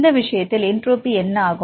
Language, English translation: Tamil, So, in this case, the entropy is